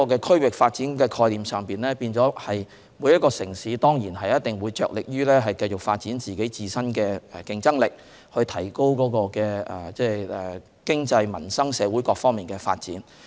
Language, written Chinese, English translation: Cantonese, 區域發展的概念，就是每個城市着力繼續發展自身的競爭力，提高經濟、民生、社會各方面的發展。, Under this regional development concept each city continues to rigorously develop its own competitiveness enhance its development in the economic livelihood and social aspects